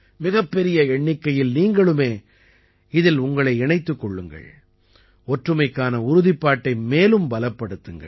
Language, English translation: Tamil, You should also join in large numbers and strengthen the resolve of unity